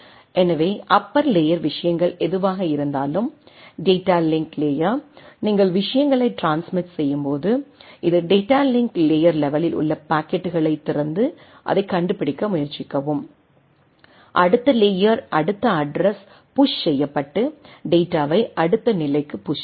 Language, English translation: Tamil, And so whatever the upper layer things coming up right the data link layer, when you transmit the things, it opens up at the packets at the data link layer level and try to and find out that, what is the next layer next address to be pushed into and push the data to the next